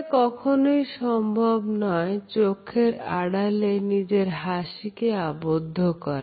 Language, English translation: Bengali, It is not always easy to conceal this smile from others